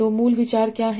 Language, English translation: Hindi, So, so what is the basic idea